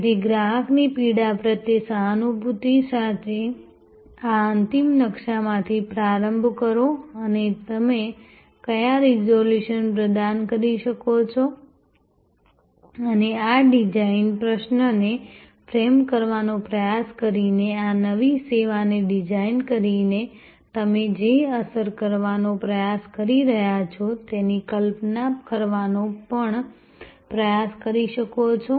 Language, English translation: Gujarati, So, start from this end map with empathy the customer pain and what resolution you can provide and in trying to frame this design question, designing this new service, you can also try to visualize the impact that you are trying to have